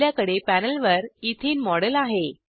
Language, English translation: Marathi, We have a model of Ethene on the panel